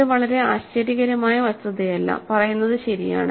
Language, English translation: Malayalam, So, it is not saying very surprising fact, right